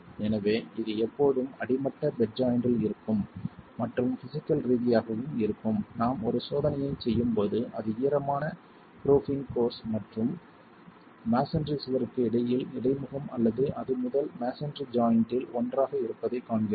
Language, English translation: Tamil, So, this will always be at the bottom most bed joint either and physically also when we do a test, we see that it is either the interface between the dam proofing course and the masonry wall or it's one of the first masonry joins themselves